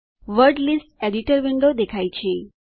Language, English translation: Gujarati, The Word List Editor window appears